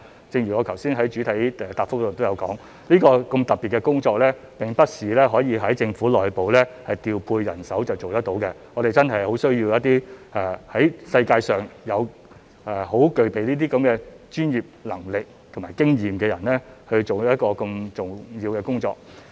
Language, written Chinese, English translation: Cantonese, 正如我剛才在主體答覆也說到，這項如此特別的工作並不是政府內部調配人手就可以做得到，我們真的很需要一些在世界上具備專業能力和經驗的人，做一項如此重要的工作。, As I have said in the main reply that such a special task cannot be completed by mere redeployment of existing manpower and we really need people in the world who have the expertise and experiences to do such an important job